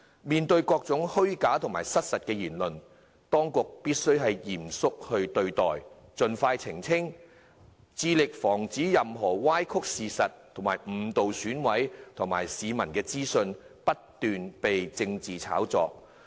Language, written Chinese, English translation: Cantonese, 面對各種虛假、失實的言論，當局必須嚴肅對待，盡快澄清，致力防止任何歪曲事實、誤導選委及市民的資訊被不斷炒作。, When dealing with all kinds of false and misleading arguments the authorities must act seriously and clarify expeditiously so as to prevent false information from being hyped continuously misleading both EC members and the public